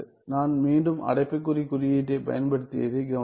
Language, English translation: Tamil, Notice that if I were to use again the bracket notation